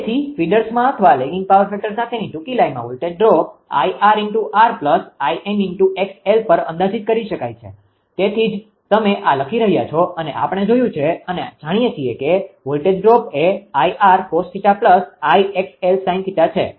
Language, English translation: Gujarati, So, voltage drop in feeders or in the short lines with lagging power factor can be approximated at I r into r into I x into x l; that why you are writing this that we have seen know that voltage drop is equal to I r cos theta plus I x ah sin theta